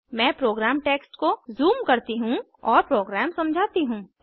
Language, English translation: Hindi, Let me zoom into the program text and explain the program